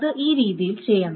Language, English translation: Malayalam, So it must be done in this